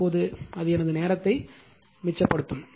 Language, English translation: Tamil, Now all are correct it will save my time